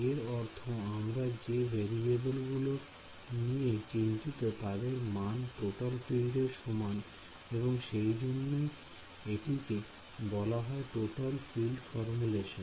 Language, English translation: Bengali, So, what does it mean, it means that the variable of interest equals total field and that is why it is called the total field formulation